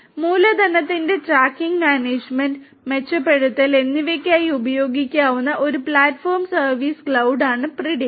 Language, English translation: Malayalam, Predix is a Platform as a Service cloud, which can be used for tracking, management and enhancement of capital